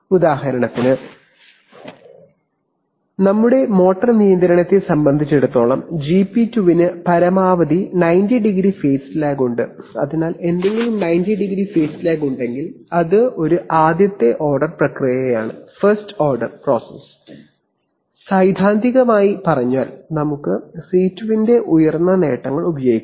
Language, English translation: Malayalam, For example, as far as our motor control is concerned GP2 has maximum has around 90˚ phase lag, so if something has a 90˚ phase lag is a first order process then we can, theoretically speaking, we can use very high gains of C2